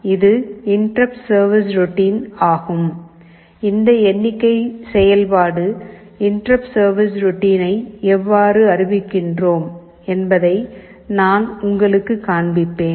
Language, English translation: Tamil, See, this is actually the interrupt service routine, this count function, I will show you how we declare it as an interrupt service routine